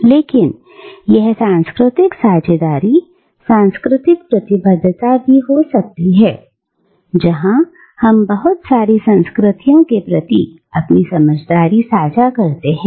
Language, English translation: Hindi, But, it can also be cultural sharing, cultural commitment, where we share our sense of belongingness to multiple cultures